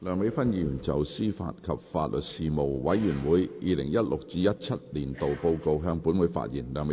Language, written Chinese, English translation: Cantonese, 梁美芬議員就"司法及法律事務委員會 2016-2017 年度報告"向本會發言。, Dr Priscilla LEUNG will address the Council on the Report of the Panel on Administration of Justice and Legal Services 2016 - 2017